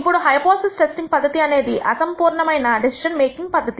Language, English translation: Telugu, Now, you have to understand that the hypothesis testing procedure is an imperfect decision making process